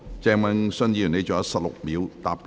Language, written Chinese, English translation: Cantonese, 鄭泳舜議員，你還有16秒答辯。, Mr Vincent CHENG you still have 16 seconds to reply